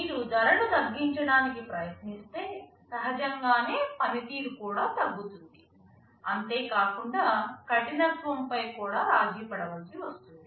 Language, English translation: Telugu, But you see if you try to reduce the cost, naturally your performance will also go down, your ruggedness can also be compromised